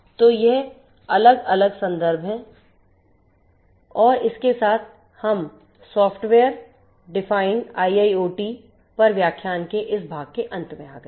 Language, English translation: Hindi, So, these are these different references and with this we come to an end of this part of the lecture on software defined IIoT